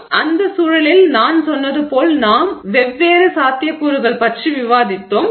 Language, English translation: Tamil, So, so in the context as I said, you know, we discussed about different possibilities